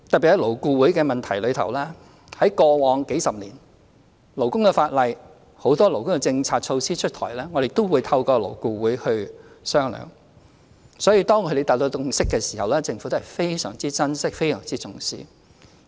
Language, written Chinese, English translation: Cantonese, 關於勞顧會的問題，過往數十年來，在勞工法例、很多勞工政策措施出台前，我們均透過勞顧會進行商議，所以當勞顧會達成共識時，政府都非常珍惜和重視。, Speaking of LAB over the past few decades it has been our practice to have negotiations conducted through LAB before introducing labour legislation and labour policies or measures . Thus when LAB achieves a consensus the Government cherishes and values it very much